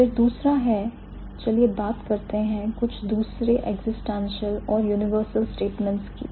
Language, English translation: Hindi, Then the next one is let's talk about some other existential and, and let's say universal statements